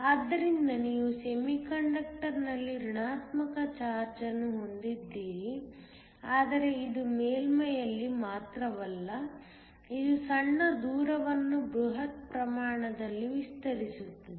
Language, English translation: Kannada, So you have a negative charge on the semiconductor, but it is not only at the surface, but it also extends a small distance into the bulk